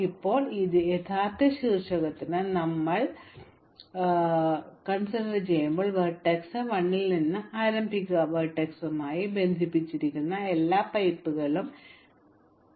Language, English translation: Malayalam, Now when we set fire to this original vertex, start vertex 1, a fire will catch on all the pipes connected to vertex 1